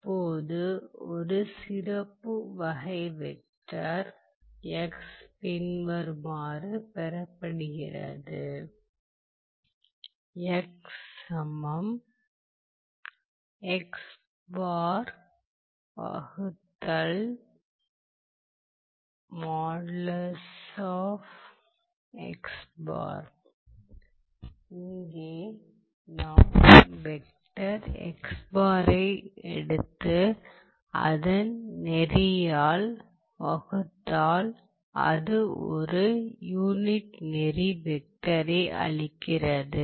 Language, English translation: Tamil, That is you are taking the vector xbar and dividing it by the, by its norm and that gives a unit norm vector